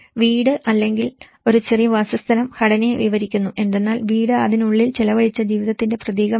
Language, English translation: Malayalam, The house or a small dwelling describes the structure whereas, the home is symbolic of the life spent within it